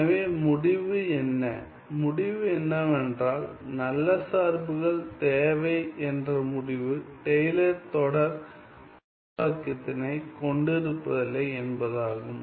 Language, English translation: Tamil, So, what is the conclusion, the conclusion is that good functions need not well, good functions need not have Taylor series expansion right